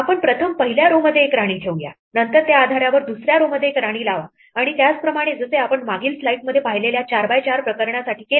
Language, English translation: Marathi, Let us first put a queen in the first row, then based on that put a queen in the second row and so on exactly as we did for the 4 by 4 case that we saw in the previous slide